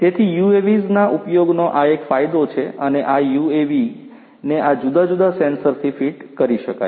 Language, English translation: Gujarati, So, this is an advantage of the use of UAVs and fit these UAVs with these different sensors